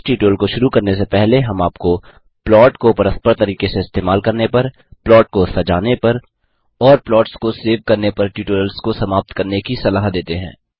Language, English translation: Hindi, Before beginning this tutorial,we would suggest you to complete the tutorial on Using plot interactively, Embellishing a plot and Saving plots